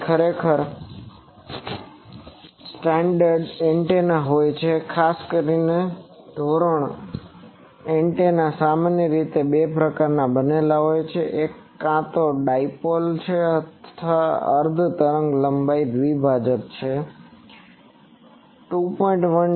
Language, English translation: Gujarati, So, actually there are standard antennas particularly in standard antennas are generally made of two types, one is either a dipole a half wavelength dipole it is gain is 2